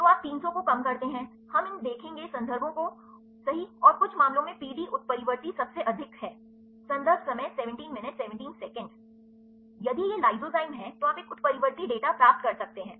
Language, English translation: Hindi, So, you reduce 300 so, we will see these the reference right and the some of the cases PD mutant is most of element if it is lysozyme you can get the a mutant a data